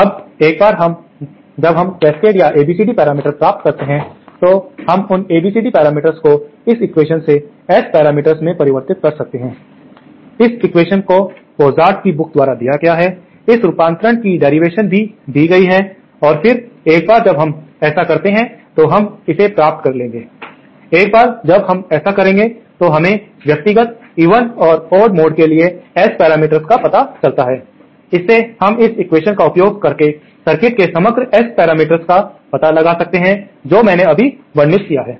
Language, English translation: Hindi, Now, once we get the cascade or ABCD matrix, we can convert those ABCD parameters to the S parameters from this equation, this equation is given in the book by Pozart, the derivation of this conversion is also given and then once we do that, we will get the, once we do that, we find out the S parameters for the individual even and odd modes, from that we can find out the overall S parameters of the circuit using this equation that I just described